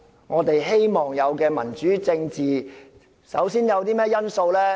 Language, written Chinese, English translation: Cantonese, 我們期望的民主政治，首要因素是甚麼？, We long for democracy . And what are the most important elements of a democratic government?